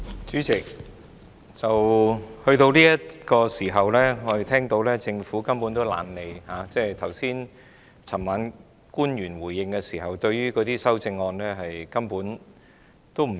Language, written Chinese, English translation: Cantonese, 主席，到了這個時候，政府根本懶得理會，官員昨晚回應時根本對修正案置之不理。, Chairman as evidenced by the response given by the public officer last night the Government simply does not bother about the amendments put forward by Members